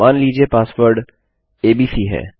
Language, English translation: Hindi, Say the password is abc